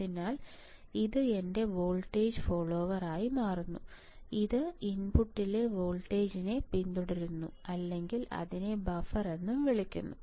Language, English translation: Malayalam, So, this becomes my voltage follower it follows the voltage at the input or it is also called buffer right it is also called buffer